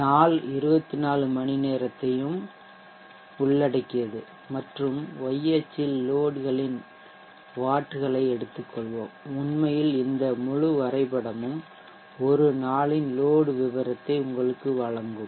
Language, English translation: Tamil, to 12midnight covers the entire 24 hours of the day and on the y axis let us have waves of the load so that actually this whole graph should give you the profile of the load or the entire T